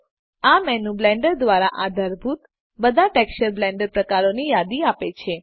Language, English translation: Gujarati, This menu lists all the texture Blend types supported by Blender